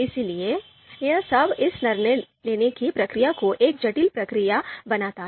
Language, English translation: Hindi, So all this you know makes this decision making process a complex process